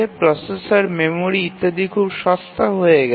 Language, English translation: Bengali, The processors, memory etcetera have become very cheap